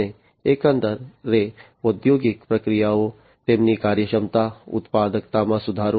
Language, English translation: Gujarati, And overall improving the industrial processes, their efficiency, productivity, and so on